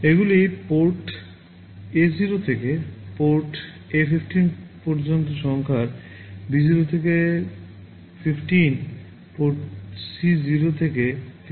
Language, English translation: Bengali, These are number from port A0 to port A15, port B0 to 15, port C0 to 15